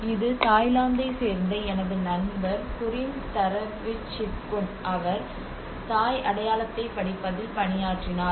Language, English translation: Tamil, And this is a friend of mine Burin Tharavichitkun from Thailand, he actually worked on the Thai identity